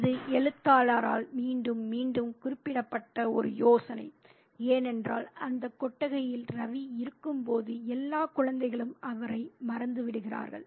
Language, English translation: Tamil, It's an idea that is repeatedly kind of mentioned by the writer because while Ravi is there in that chat, all the children have forgotten him